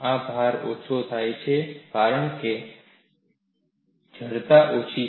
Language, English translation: Gujarati, This load has come down, because the stiffness is lower